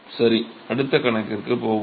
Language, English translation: Tamil, All right let us go to the next problem